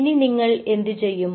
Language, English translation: Malayalam, so then, what you do